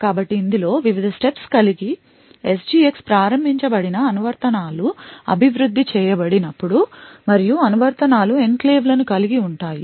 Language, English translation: Telugu, So, these are the various steps involved when applications are developed with SGX enabled and the applications have enclaves